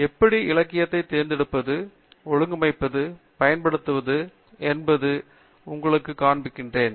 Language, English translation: Tamil, I am going to show you how you can search for literature, organize them in set of tools that you can use